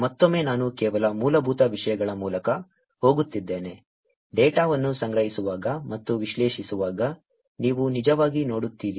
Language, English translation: Kannada, Again I am going through some other basic things, which you will actually look at while collecting data and analyzing